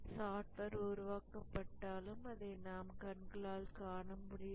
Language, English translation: Tamil, Even as the software is being developed, it's not visible